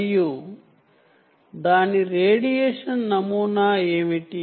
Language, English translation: Telugu, what is its radiation pattern